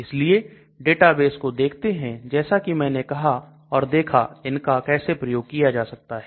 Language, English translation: Hindi, So let us look at some databases like I said before and see how we can make use of them